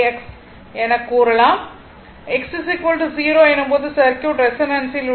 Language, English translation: Tamil, When this part will be 0, the circuit will be in resonance right